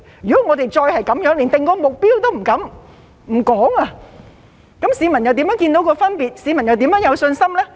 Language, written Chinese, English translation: Cantonese, 如果我們再是連訂定目標也不敢、不說，市民又如何看得到分別，又怎會有信心呢？, If we do not even dare to set or even mention a target how can the public see the difference and how can they have confidence?